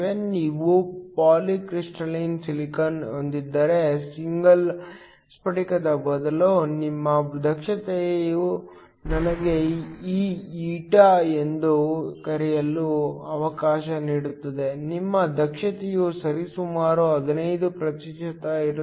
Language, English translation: Kannada, Instead of single crystal if you have a polycrystalline silicon, your efficiency let me just call this eta, your efficiency will be around 15 percent